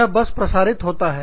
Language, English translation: Hindi, It just radiates out